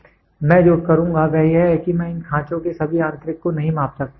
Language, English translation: Hindi, So, what I will do is I cannot measure the internal of these grooves and all